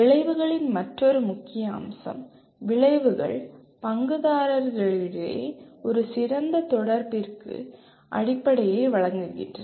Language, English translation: Tamil, And the another major feature of outcome is outcomes provide the basis for an effective interaction among stakeholders